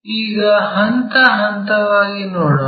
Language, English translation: Kannada, Let us see that step by step